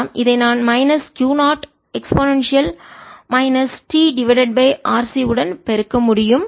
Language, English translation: Tamil, this is equals to minus d t by r, c